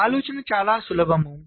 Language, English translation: Telugu, the idea is very simple